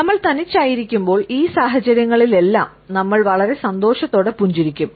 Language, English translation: Malayalam, When we are alone we would smile in all these situations in a very happy manner